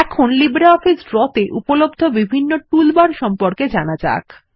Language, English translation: Bengali, Let us now explore the various toolbars available in LibreOffice Draw